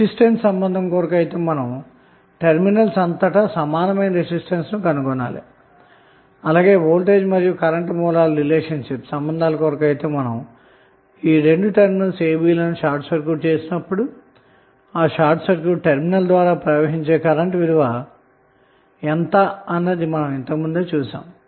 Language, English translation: Telugu, So, what we got we got the voltage relationship as well as resistance relationship for resistance relationship we try to find out the equivalent resistance across the terminals and for the current and voltage source relationship we just saw, when we short circuit a and b what would be the value of the current flowing through the short circuited terminal